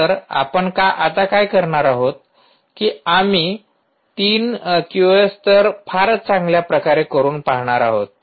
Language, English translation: Marathi, so what we are going to do is we are going to essentially try the three q o s levels